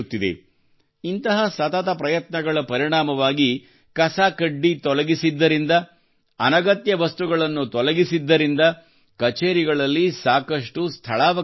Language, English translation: Kannada, The result of these continuous efforts is that due to the removal of garbage, removal of unnecessary items, a lot of space opens up in the offices, new space is available